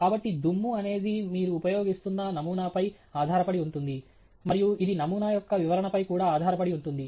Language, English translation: Telugu, So, dust is something that again depends on the kind of sample you are using and it also depends on the specification of the sample